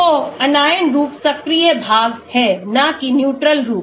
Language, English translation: Hindi, So, the anion form is the active part and not the neutral form